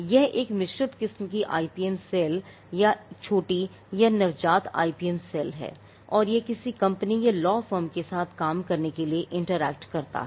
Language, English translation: Hindi, The mixed variety is the IPM cell is there, but it is a small or a nascent IPM cell and it interacts with a company or a law firm to get the work done